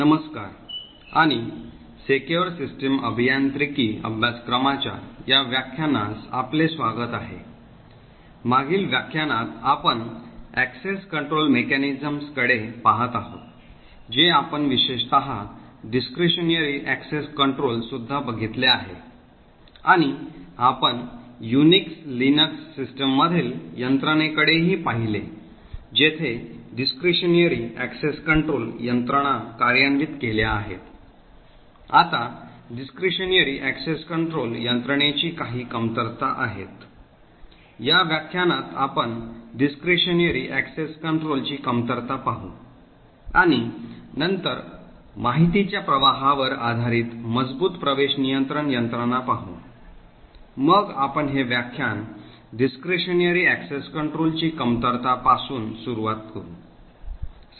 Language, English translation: Marathi, Hello and welcome to this lecture in the course for secure system engineering, in the previous lecture we have been looking at access control mechanisms in particular we have been looking at discretionary access control and we also looked at the mechanisms in Unix Linux systems where discretionary access control mechanisms are implemented, now there are certain drawbacks of discretionary access control mechanisms, in this lecture we will look at the drawback of discretionary access control and then look at a stronger access control mechanism which is based on information flow, so we start this lecture the drawbacks of discretionary access control